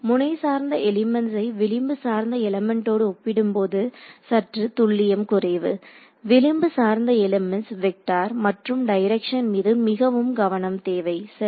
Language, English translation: Tamil, Node based elements typically have limited accuracy compared to edge based elements, edge based elements required to be very careful about vectors and directions ok